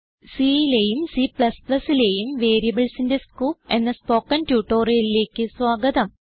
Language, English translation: Malayalam, Welcome to the spoken tutorial on Scope of variables in C and C++